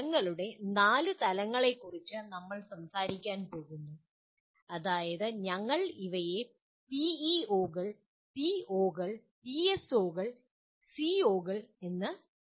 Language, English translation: Malayalam, And we are going to talk about 4 levels of outcomes namely, we call them as PEOs, POs, PSOs, and COs